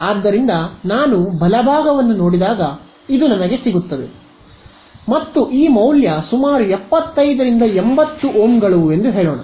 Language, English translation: Kannada, So, this is what I get when I look at the right; and this value is roughly about 75 to 80 Ohms let say